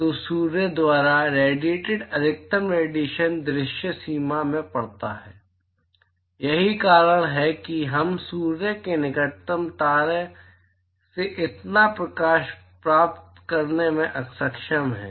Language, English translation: Hindi, So, the maximum emission that is radiated by sun it falls in the visible range that is why we are able to get so much light from the closest star which is sun